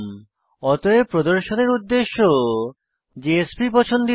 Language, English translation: Bengali, Therefore for presentation purpose JSP is preferred